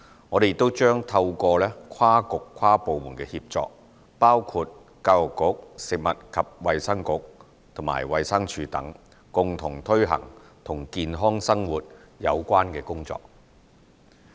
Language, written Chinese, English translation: Cantonese, 我們亦將透過跨局跨部門協作，包括教育局、食物及衞生局和衞生署等，共同推行與健康生活有關的工作。, We will also collaborate with relevant bureaux and departments such as the Education Bureau the Food and Health Bureau and the Department of Health in our joint effort to promote a healthy lifestyle